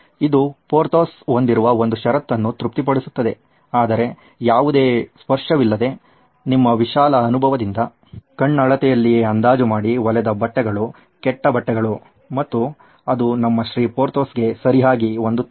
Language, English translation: Kannada, That satisfies one condition that Porthos has, is there is no touching going on whereas what happens is that you with your eyeballing, with your vast experience still have poorly fit clothes, bad fitting clothes and that doesn’t go very well with our Mr